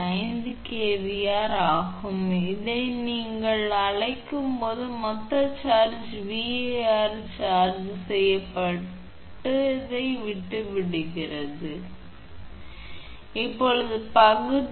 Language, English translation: Tamil, 5 kilo VAr that is the total charging your what you call charging VAR quit high right not low, 511 kilo VAr means it is